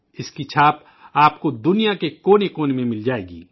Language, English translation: Urdu, You will find its mark in every corner of the world